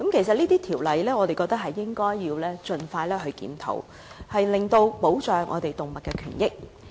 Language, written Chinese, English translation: Cantonese, 我認為應該盡快檢討相關條例，以保障動物權益。, I think the Ordinance should be reviewed expeditiously so as to protect animal rights